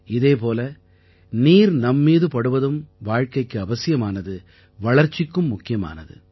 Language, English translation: Tamil, Similarly, the touch of water is necessary for life; imperative for development